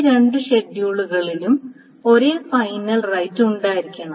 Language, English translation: Malayalam, These are the two schedules should have the same final right